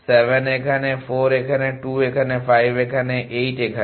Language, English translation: Bengali, 7 is here 4 is here 2 is here 5 is here 8 is here